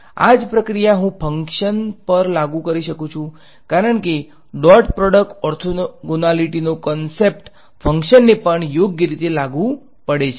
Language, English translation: Gujarati, The same process I can apply to functions because, the concept of dot product orthogonality holds to a functions also right